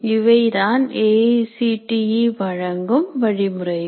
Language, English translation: Tamil, So, these are the guidelines that AICTE provides